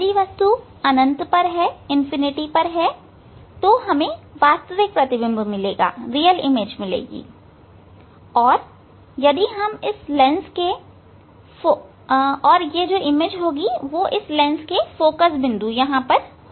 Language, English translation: Hindi, If object is at infinity, we will get image we will get real image and that will get at the focal point of this lens